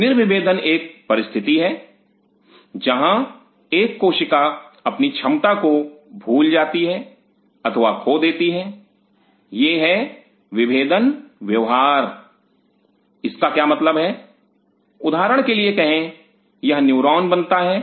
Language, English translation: Hindi, De differentiation is a situation, when a cell forgets or loses it is ability of it is differentiated behavior what does the mean say for example, this becomes a neuron